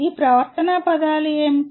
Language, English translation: Telugu, What are these behavioral terms